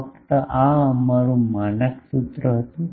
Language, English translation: Gujarati, Simply, this was our standard formula